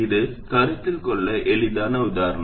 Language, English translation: Tamil, This is the easiest example to consider